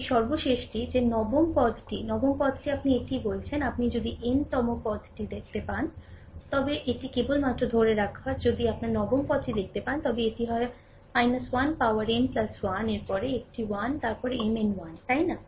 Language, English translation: Bengali, This last one that nth term nth term is your what you call it is your minus if you see the nth term, it is just for just hold on if you see the nth term, then it is your minus 1 to the power n plus 1, then a n 1 then M n 1, right